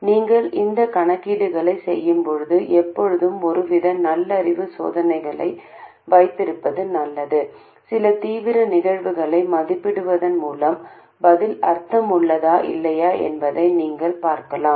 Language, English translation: Tamil, And also when you carry out these calculations, it is always good to have some sort of sanity checks, some checks where by evaluating some extreme cases you can see whether the answer makes sense or not